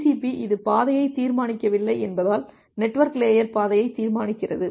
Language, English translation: Tamil, Because TCP it does not determine the path, the network layer is determining the path